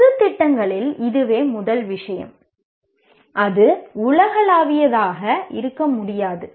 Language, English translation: Tamil, That is the first thing in general programs, aims cannot be that universal